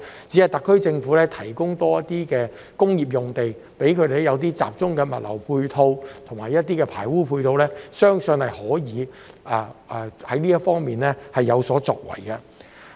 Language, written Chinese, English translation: Cantonese, 只要特區政府為相關機構增撥工業用地，以及提供集中的物流及排污配套，相信香港在這方面將有所作為。, If the SAR Government allocates more industrial sites to the organizations concerned and provides them with centralized logistics and sewage facilities I am confident that Hong Kong can make some achievements in this regard